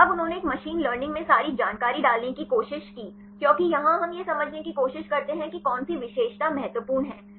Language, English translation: Hindi, So, now they tried to put all the information in a machine learning because here we try to understand which feature is important